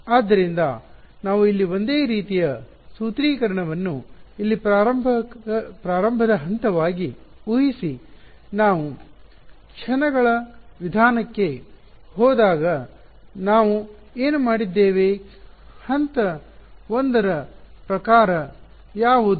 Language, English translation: Kannada, So, we will assume the same sort of formulating equation over here as a starting point, what did we do when we went to the method of moments, what was sort of step 1